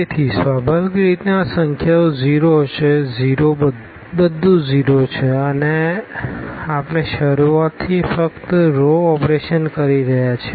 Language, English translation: Gujarati, So, naturally these numbers will be 0 everything is 0 and we are doing only the row operations from the beginning